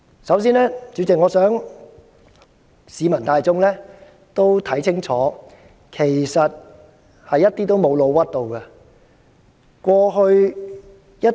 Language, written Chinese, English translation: Cantonese, 主席，首先我想市民大眾看清楚，其實我們一點也沒有"老屈"他們。, President to begin with I would like the general public to see clearly for themselves that we actually have not smeared them at all